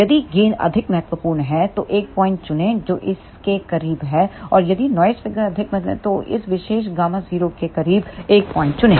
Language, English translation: Hindi, If gain is more important choose a point which is closer to other and if noise figure is more important then choose a point closer to this particular gamma 0